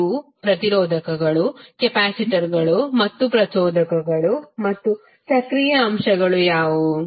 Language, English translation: Kannada, These are resistors, capacitors and inductors and what are the active elements